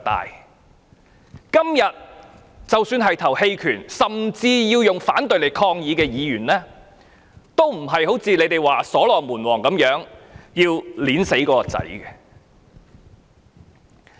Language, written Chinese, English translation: Cantonese, 即使今天表決棄權，甚至要投票反對以作抗議的議員，都不是像你們說如所羅門王般要將孩子劈死。, For Members who will abstain from voting today or even vote against the Bill in protest they are not in their words King Solomon hacking the child to death